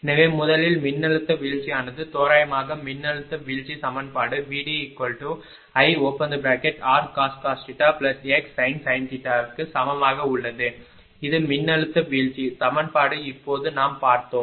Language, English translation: Tamil, So, first use the approximate voltage drop equation that is voltage drop approximately is equal to I r cos theta plus x sin theta this is the voltage drop equation just now we have seen just now we have